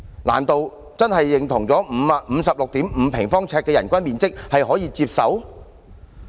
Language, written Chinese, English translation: Cantonese, 難道真的認同 56.5 平方呎的人均面積是可以接受的？, Do we really agree that an average living space of 56.5 sq ft per person is acceptable?